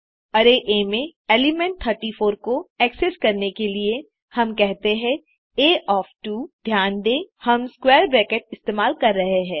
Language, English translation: Hindi, To access, the element 34 in array A, we say, A of 2, note that we are using square brackets